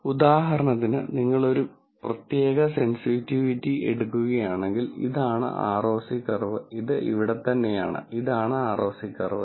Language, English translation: Malayalam, So, for example, if you take a particular sensitivity, this is the ROC curve, this right here, this is ROC curve